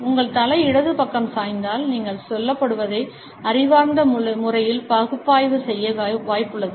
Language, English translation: Tamil, If your head tilts to the left, you are likely to be intellectually analyzing what is being said